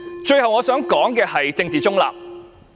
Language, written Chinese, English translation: Cantonese, 最後，我想說的是政治中立。, Finally I wish to speak on political neutrality